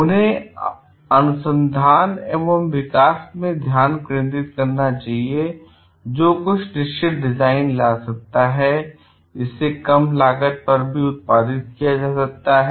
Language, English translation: Hindi, And they should like we focus in R and D, which can bring in certain design, which can be produced at a lower cost also